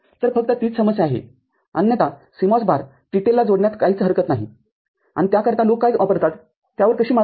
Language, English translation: Marathi, So, that is what is only the problem otherwise there is no issue in connecting CMOS load to TTL and for that what people use how to how it is overcome